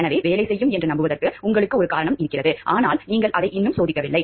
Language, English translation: Tamil, So, you have a reason to believe will work, but you are not yet tested it